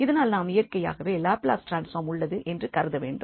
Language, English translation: Tamil, So, naturally, we have to assume that the Laplace transform exist